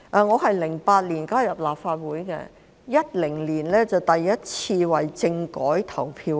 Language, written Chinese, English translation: Cantonese, 我在2008年加入立法會 ，2010 年我們首次為政改投票。, I joined the Legislative Council in 2008 . In 2010 we had the first opportunity to vote on the political reform package